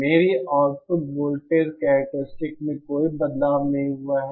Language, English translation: Hindi, There is no change in my output voltage characteristics